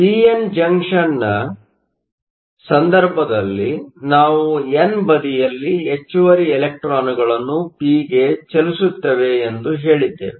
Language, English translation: Kannada, So, in the case of a p n junction, we said that we have excess electrons on the n side move to p